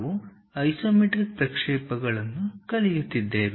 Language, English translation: Kannada, We are learning Isometric Projections